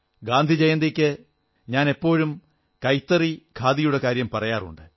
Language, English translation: Malayalam, On Gandhi Jayanti I have always advocated the use of handloom and Khadi